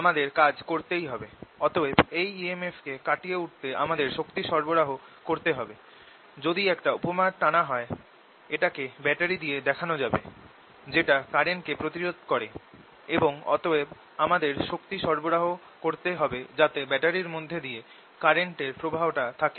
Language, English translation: Bengali, we have to work, then we have to supply energy to overcome this e m, f, so that, if you make an analogy, this can be replaced by a battery which is opposing the current and therefore i have to supply energy so that the current passes through the this battery